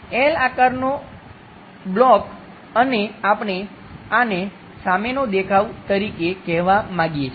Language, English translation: Gujarati, A block in L shape and we would like to say this one as the front view